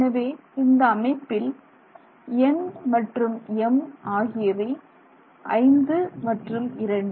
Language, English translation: Tamil, So, in this case N and M would be 5 and 2